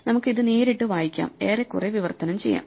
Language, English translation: Malayalam, So, we can just directly read it talk more or less and translate it